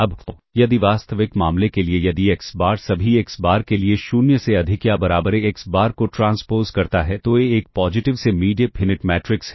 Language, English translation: Hindi, Now, if for the real case, if xBar transpose AxBar greater than or equal to 0 for all xBar then A is a positive semi definite matrix ok